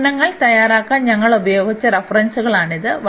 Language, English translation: Malayalam, So, these are the references we have used for preparing the lectures